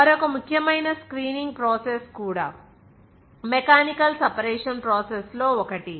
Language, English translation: Telugu, Another important screening process also one of the mechanical separation processes